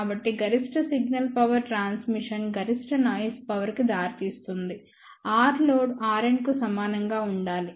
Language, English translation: Telugu, So, for maximum signal power transmission which will also lead to maximum noise power, R load should be equal to R n